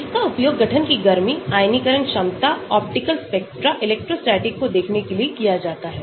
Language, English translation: Hindi, It can be used for heat of formation, looking at ionization potential, optical spectra, electrostatic